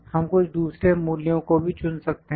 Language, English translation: Hindi, We can even pick some other values